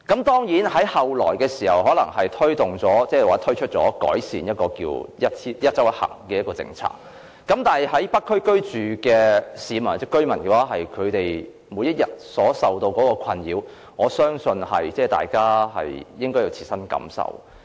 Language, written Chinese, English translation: Cantonese, 當然，政府後來推出"一周一行"的改善政策，但在北區居住的市民或居民每天受到的困擾，我相信大家應該有切身感受。, Even though the authorities subsequently introduced the improvement measure of one trip per week Individual Visit Endorsements the residents of the North District are still suffering every day . I think we should step into their shoes